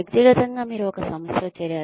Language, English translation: Telugu, Individually, you join an organization